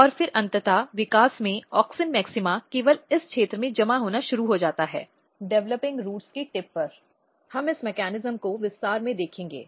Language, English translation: Hindi, And then eventually in the development, the auxin maxima started getting accumulated only in this region very tip of the were the developing roots So, we will see this mechanism in details